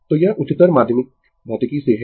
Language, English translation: Hindi, So, this is from your higher secondary physics